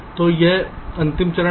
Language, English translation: Hindi, so now this is the last step